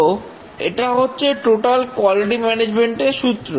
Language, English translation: Bengali, So this is the total quality management principle